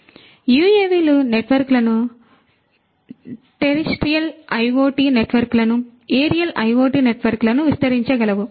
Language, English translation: Telugu, So, UAVs can extend the networks the terrestrial IoT networks to the aerial IoT networks